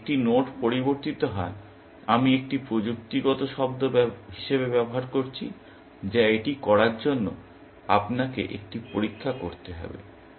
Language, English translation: Bengali, If a node has changed; I am using this as a kind of technical term, which you have to have a test for doing it